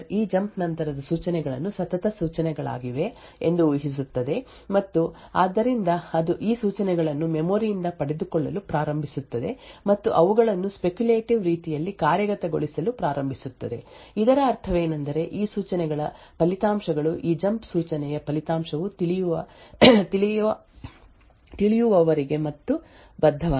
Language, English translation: Kannada, For example the processor would speculate that the instructions following this jump would be the consecutive instructions and therefore it will start to fetch these instructions from the memory and start to execute them in a speculative manner, what this means is that the results of these instructions are not committed unless and until the result of this jump instruction is known